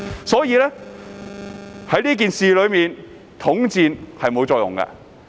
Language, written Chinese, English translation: Cantonese, 所以，在這件事上，統戰是沒有作用的。, Therefore the united front tactic did not work as far as this matter is concerned